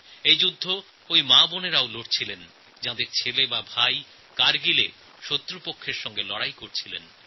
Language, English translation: Bengali, This war was fought by those mothers and sisters whose sons and brothers were fighting against the enemies at the border